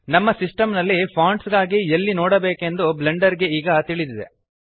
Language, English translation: Kannada, Blender now knows where to look for the fonts on our system